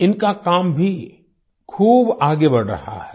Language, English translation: Hindi, His work is also progressing a lot